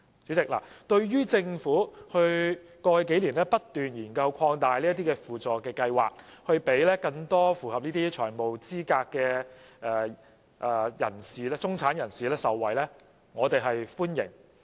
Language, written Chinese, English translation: Cantonese, 主席，對於政府在過去數年不斷研究擴大輔助計劃，讓更多符合財務資格的中產人士受惠，我們表示歡迎。, President we welcome the Governments continuous efforts over the past few years in studying how to expand the SLAS with a view to enabling more members of the middle class who satisfy the FEL to benefit